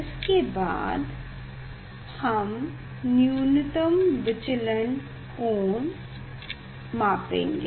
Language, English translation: Hindi, then next we will measure the minimum deviation angle of minimum deviation